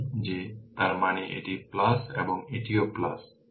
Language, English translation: Bengali, So, that; that means, this is plus minus and this is also plus minus